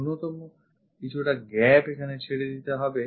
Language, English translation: Bengali, At least some gap one has to leave it